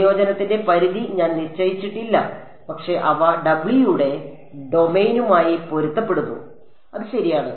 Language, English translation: Malayalam, I have not put the limits of integration, but they correspond to the domain of w that is implicit ok